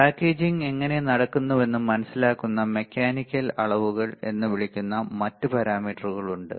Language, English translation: Malayalam, There are other parameters which are called mechanical dimensions right how the packaging is done